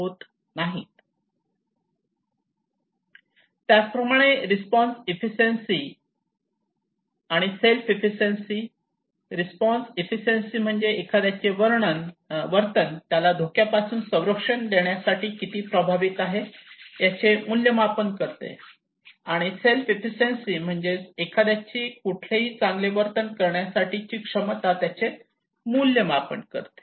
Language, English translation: Marathi, Similarly, response efficacy and self efficacy like response is the evaluation of how effective the behaviour will be in protecting the individual from harm and the self efficacy is the individual evaluation of their capacity to perform the recommended behaviour